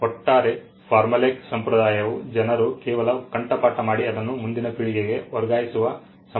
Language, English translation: Kannada, The overall formulaic tradition was a tradition by which people just memorized things and passed it on to the next generation